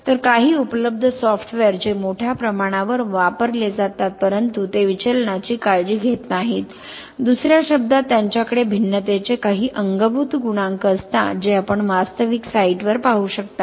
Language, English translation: Marathi, So some of the existing software which are widely used but they do not have they do not take care of the deviation in other words they have some built in coefficient of variations not the coefficient of variation which you might see on actual site